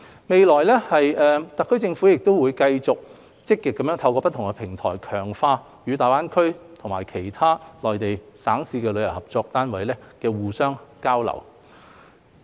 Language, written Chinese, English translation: Cantonese, 未來，特區政府會繼續積極透過不同平台，強化與大灣區及其他內地省市的旅遊單位的合作和互相交流。, In the future the SAR Government will continue to strengthen cooperation and exchanges with tourism bodies within GBA and other Mainland provinces and municipalities through various platforms in a proactive manner